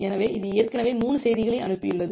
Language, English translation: Tamil, So, it has sent 3 message